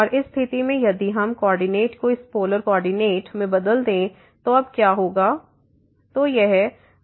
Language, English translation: Hindi, And in this case if we change the coordinate to this polar coordinate what will happen now